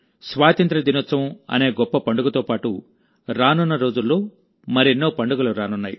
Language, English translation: Telugu, Along with the great festival of Independence Day, many more festivals are lined up in the coming days